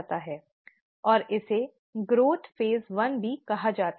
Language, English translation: Hindi, And, it's also called as the growth phase one